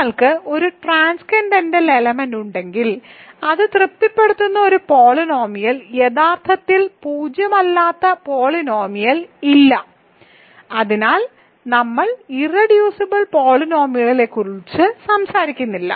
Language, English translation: Malayalam, If you have a transcendental element there is no polynomial actually non zero polynomial that it satisfies, so we do not talk of irreducible polynomials ok